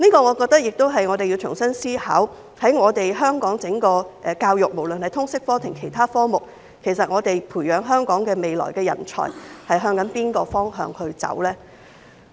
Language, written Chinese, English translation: Cantonese, 我覺得就此我們要重新思考，在整個香港教育，無論是通識科還是其他科目，我們要培養香港未來的人才走向哪個方向？, I think we need to rethink which direction we should take in nurturing Hong Kongs future talent in education whether with respect to LS or other subjects